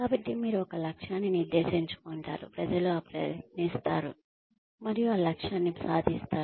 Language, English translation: Telugu, So, you set a goal, and people will try, and achieve that goal